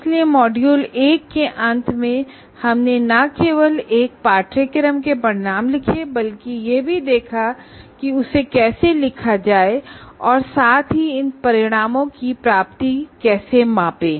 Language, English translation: Hindi, So, at the end of module 1, we not only wrote outcomes of a program, outcomes of a course and how to write that as well as how to measure the attainment of these outcomes